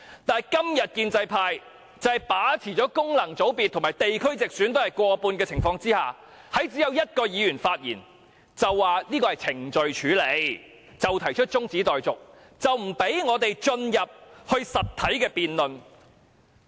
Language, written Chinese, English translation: Cantonese, 但是，今天建制派在地區直選及功能界別中均佔過半數，他們1位議員發言後，便說要按程序處理，動議中止待續議案，不准我們進入實體辯論。, However today the pro - establishment camp is the majority of both the geographical constituencies and functional constituencies . After one Member had spoken they moved an adjournment motion according to the procedure barring us from engaging in a substantial debate